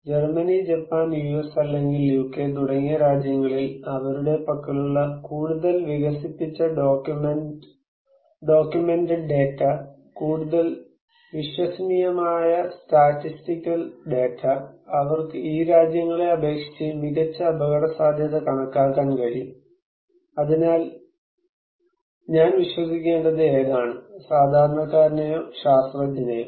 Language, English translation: Malayalam, In a country like Germany or Japan or US or UK that is more developed documented data they have, more reliable statistical data they have so, they can have better risk estimation than these countries, so then which one I should believe; the laypeople or the scientist